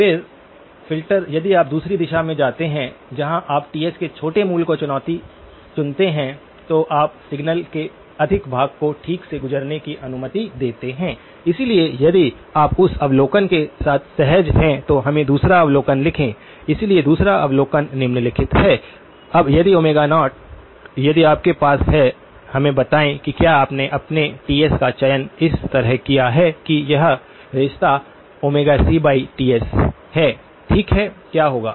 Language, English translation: Hindi, So, then the filter if you go the other direction where you choose the small value of Ts, then you allow more of the signal to pass through okay, so if you are comfortable with that observation let us then write down the second observation, so the second observation is the following; now, if Omega naught if you have by; let us say if you did end up choosing your Ts such that this relationship holds Omega c by Ts, okay what would happen